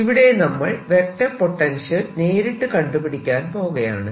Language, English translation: Malayalam, let us then directly use this to calculate the vector potential